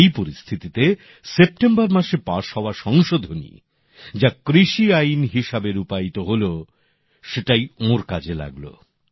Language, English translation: Bengali, In this situation, the new farm laws that were passed in September came to his aid